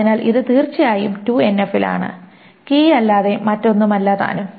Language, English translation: Malayalam, So it is, of course, in 2NF and nothing but the key